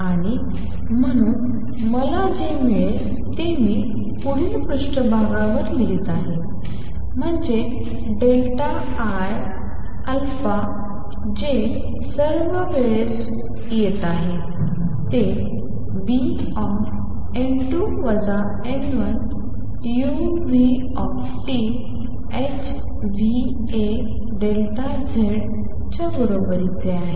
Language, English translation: Marathi, And therefore, what I get am I right this in the next page is that delta I times a that is all taking place per time is equal to B n 2 minus n 1 u nu T h nu times a delta Z